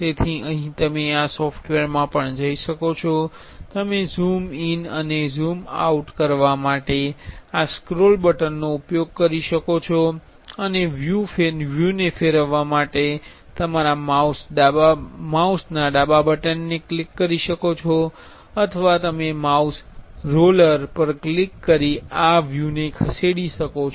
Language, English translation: Gujarati, So, here you can see in this software also you can use this scroll button to zoom in and zoom out and click the left button of your mouse to rotate the view or you can click on the roller, mouse roller and move more this view